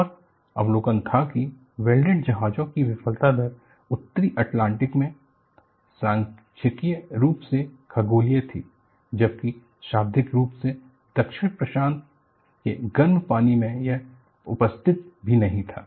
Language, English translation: Hindi, And observation was, the failure rate of the welded ships was statistically astronomical in the North Atlantic, while literally, nonexistent in the warm waters of the South Pacific